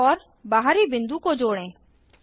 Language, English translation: Hindi, Join centre and external point